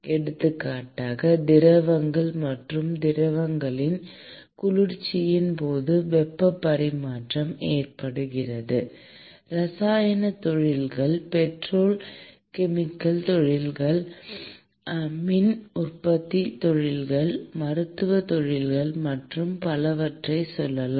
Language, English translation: Tamil, For example, heat transfer occurs during cooling of fluids and liquids in let us say chemical industries, in petrochemical industries, in power industries, in pharmaceutical industries, and so on and so forth